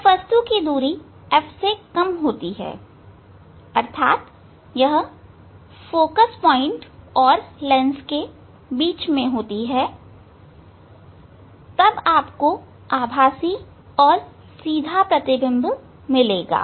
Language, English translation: Hindi, when the distance of the object is less than F it is between focal point and the and the and the and the lens then you will get erect and virtual image